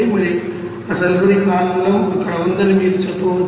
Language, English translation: Telugu, And you can say that you know that sulfuric acid there